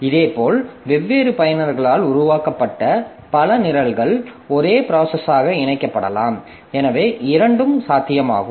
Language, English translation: Tamil, Similarly, a number of programs developed by different users that may be combined into a single process